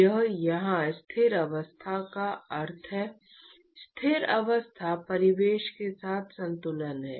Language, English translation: Hindi, Or the steady state really here means: steady state is equilibrium with the surroundings